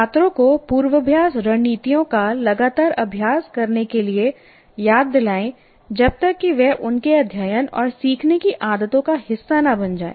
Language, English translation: Hindi, Remind students to continuously practice rehearsal strategies until they become regular parts of their study and learning habits